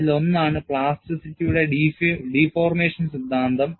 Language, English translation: Malayalam, And this extension, is based on the deformation theory of plasticity